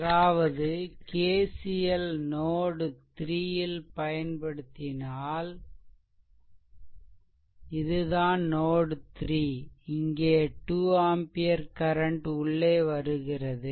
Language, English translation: Tamil, So, similar way you can apply your KCL so, not so, here because this 2 ampere current is entering right